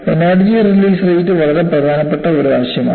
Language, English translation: Malayalam, You know, the energy release rate is a very, very important concept